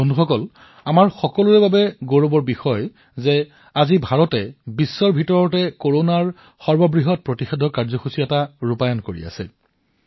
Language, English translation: Assamese, Friends, it's a matter of honour for everyone that today, India is running the world's largest vaccination programme